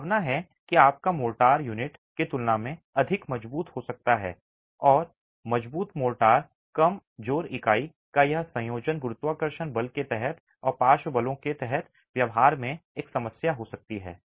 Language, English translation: Hindi, Chances are that your motor may be stronger than the unit itself and this combination of strong motor weak unit can be a problem in the behavior under gravity itself and under lateral forces